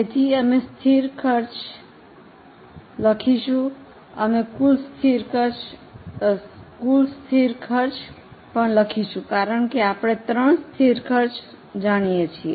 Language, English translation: Gujarati, We can even write the total fixed costs because we know the three fixed costs